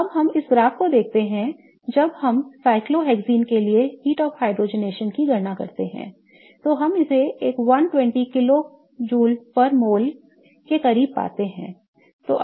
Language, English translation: Hindi, When we calculate the heat of hydrogenation for cyclohexene, we get it close to 120 kilojules per mole